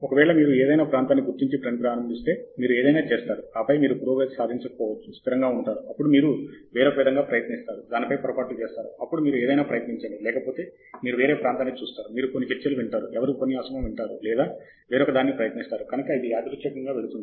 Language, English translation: Telugu, In case you kind of identify any area, start working, you do something, and then you invariably may not make progress, then you stumble on something else, then you try something else, then you see some other area, you listen to some talks, somebody is talking about that or maybe I try this; so it kind of goes randomly